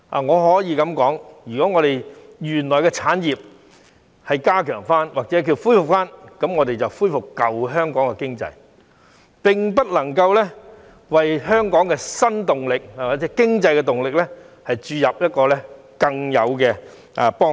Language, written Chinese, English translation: Cantonese, 我可以這樣說，如果我們加強或恢復原來的產業，我們只是恢復舊香港的經濟，並不能夠對香港的新動力及經濟動力有更大的幫助。, I can say that if we have strengthened or revived the original industries we will only be restoring the old economy of Hong Kong but cannot help much in injecting new impetus or power into our economy